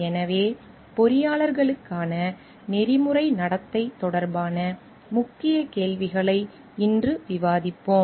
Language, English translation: Tamil, So, today we will discuss the Key Questions which are pertaining to Ethical Conduct for Engineers